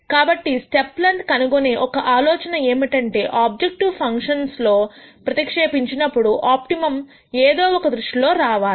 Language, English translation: Telugu, So, one idea is to gure out the step length, so that this when substituted into the objective function is an optimum in some sense